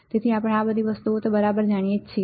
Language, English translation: Gujarati, So, we know this things right